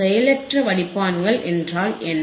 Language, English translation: Tamil, Now you know, what are passive filters